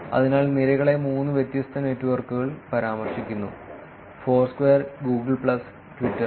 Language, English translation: Malayalam, So, the columns are referred three different networks Foursquare, Google plus and Twitter